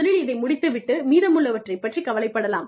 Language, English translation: Tamil, Let me, first finish this, and worry about the rest, later